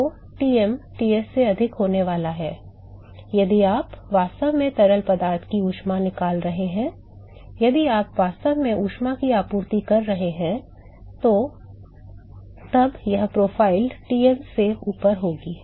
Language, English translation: Hindi, So, Tm is going to be higher than Ts if you are actually removing heat from the fluid if you are actually supplying heat when this profile will going to be above the Tm that is all